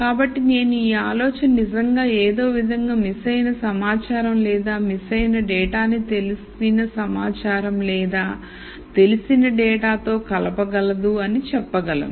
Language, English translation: Telugu, So, I might say the idea is really to somehow relate the missing information or missing data to the known information or known data